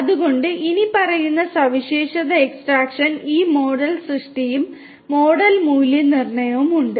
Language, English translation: Malayalam, So, following feature extraction there is this model creation and model validation